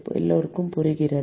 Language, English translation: Tamil, Is it clear to everyone